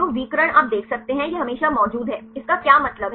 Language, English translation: Hindi, So, diagonals you can see it is always present; what does it mean